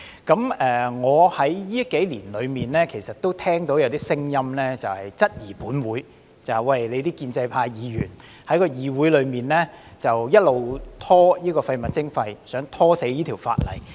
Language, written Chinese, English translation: Cantonese, 近年，我其實也聽到一些聲音，質疑本會的建制派議員在議會一直拖延處理廢物徵費，想"拖死"這項法例。, In recent years I have heard comments questioning whether Members from the pro - establishment camp are delaying the handling of waste charging in the legislature attempting to stall this legislation till it lapses